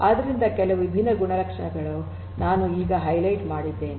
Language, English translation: Kannada, So, these are some of these different properties that I am going to highlight now